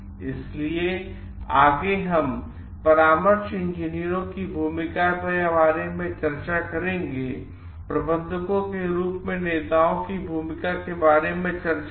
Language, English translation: Hindi, So, next, we will discuss about the from the role of consulting engineers we have discussed about the role of leaders as managers